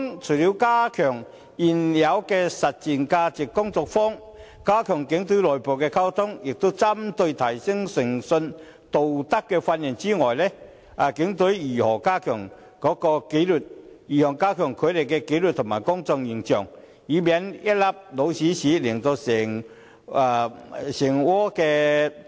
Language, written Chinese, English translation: Cantonese, 除了加強現有的"實踐價值觀"工作坊、警隊的內部溝通，以及提升警員的誠信和道德的培訓外，警方會如何加強警隊的紀律和提升公眾形象，以免一粒"老鼠屎"破壞整鍋粥？, Apart from enhancing the existing living - the - values workshops the internal communication within the Police Force and the training for strengthening the integrity and ethics of police officers how will the Police strengthen the discipline and enhance the public image of the Force to prevent a mouse dropping from spoiling the whole pot of porridge?